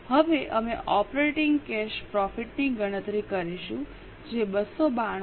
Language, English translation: Gujarati, Now we will calculate operating cash profit which is 292